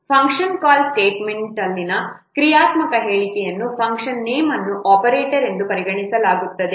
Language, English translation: Kannada, A function name in a function call statement is considered as an operator